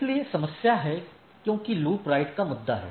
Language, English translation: Hindi, So, there is a problem because there is a issue of loop right